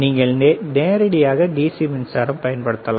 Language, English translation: Tamil, You can directly use DC power supply